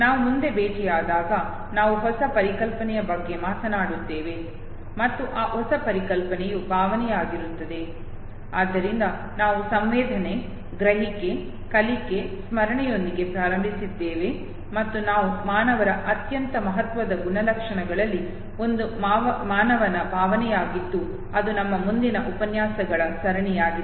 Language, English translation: Kannada, When we meet next we will talking about a new concept and that new concept would be emotion, so we started with sensation, perception, learning memory, and we would be coming to the, one of the most significant attributes of human beings, that is human emotion that would be our next series of lectures